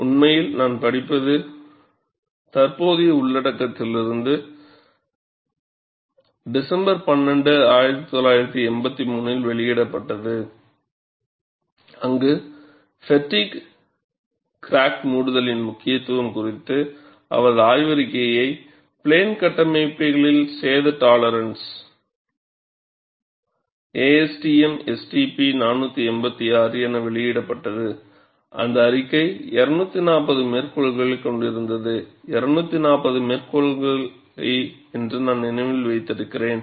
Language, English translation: Tamil, This says, this weeks citation classic, it was published in December 12, 1983, where his paper on the significance of fatigue crack closure damage tolerance in aircraft structures, published as A S T M S T P 486, had a very high citation of 240, I think